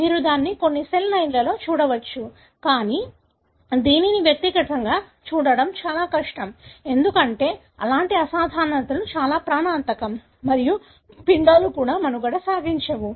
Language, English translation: Telugu, You may see it in certain cell lines and so on, but it would be very difficult to see it in individual, because such abnormalities are very, very lethal and the embryos even donÕt survive